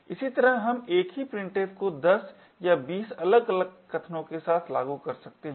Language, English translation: Hindi, In a similar way we could have the same printf being invoked with say 10 or 20 different arguments as well